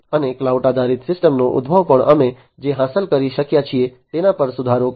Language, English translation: Gujarati, And the emergence of cloud based system will also improve upon what we have been able to achieve